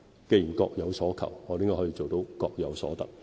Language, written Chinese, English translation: Cantonese, 既然各有所求，我們應該可以做到各有所得。, In view of their respective demands we should be able to ensure that both sides get what they want